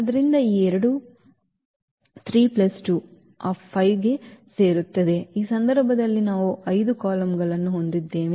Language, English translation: Kannada, So, this two 3 plus 2 will add to that 5 in this case we have 5 columns